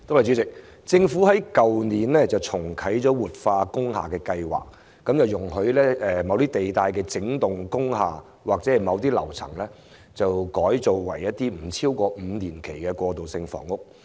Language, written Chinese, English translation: Cantonese, 政府在去年重啟活化工廈計劃，容許某些地帶的整幢工廈或樓層改裝為一些不超過5年期的過渡性房屋。, The Government relaunched the revitalization scheme for industrial buildings last year permitting wholesale or individual - floor conversions of industrial buildings for transitional housing use not exceeding five years